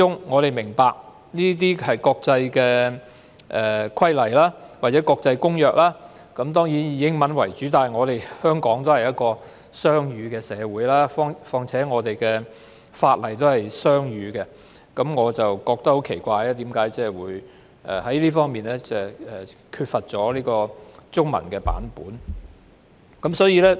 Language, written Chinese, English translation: Cantonese, 我們明白國際規例或公約當然是以英文為主，但香港是雙語社會，再加上我們的法例都是雙語的，所以我對於為何有關的附則沒有中文本感到很奇怪。, We understand that international regulations or conventions are normally written in English but Hong Kong is a bilingual society and our legislation is also bilingual I am thus very surprised to learn that the Annex does not have a Chinese version